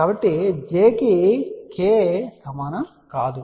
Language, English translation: Telugu, So, j is not equal to k